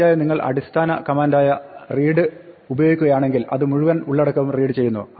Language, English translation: Malayalam, Now, of course, if we use the basic command read, it reads the entire content